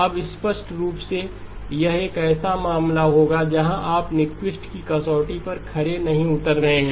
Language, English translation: Hindi, Now clearly this would be a case where you are not satisfying the Nyquist criterion